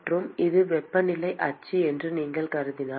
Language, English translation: Tamil, And if you assume that the this is the temperature axis